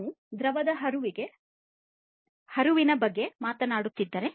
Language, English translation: Kannada, Then we if we are talking about fluid flow